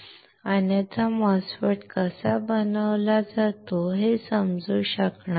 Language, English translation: Marathi, Otherwise you will not be able to understand how MOSFET is fabricated